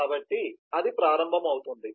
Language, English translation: Telugu, so that starts executing